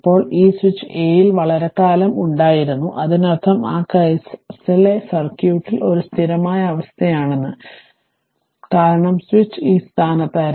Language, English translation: Malayalam, Now, this switch was at position for long time at A right, that means that means circuit at the time for that case circuit was a steady state, because, switch was at this position